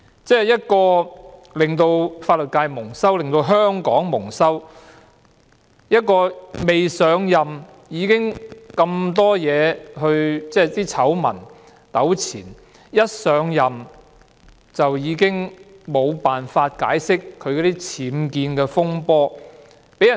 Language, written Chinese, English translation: Cantonese, 她令法律界蒙羞，令香港蒙羞，未上任已是醜聞纏身，而上任後亦無法就僭建風波解釋。, She has brought the legal sector and Hong Kong into disrepute . Before assumption of office she had been scandal - ridden and after assumption of office she could not account for her unauthorized building works UBWs